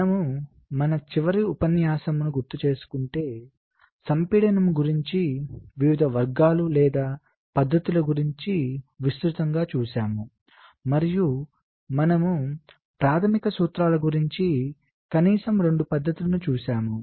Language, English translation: Telugu, so if you recall, in our last lecture we shad looked at, ah, broadly, the different categories or techniques, ah, for compaction, and we looked at a couple of methods, at least the basic principle, without going into detail